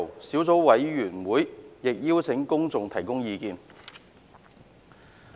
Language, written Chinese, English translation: Cantonese, 小組委員會亦有邀請公眾提交書面意見。, The Subcommittee has also invited written views from the public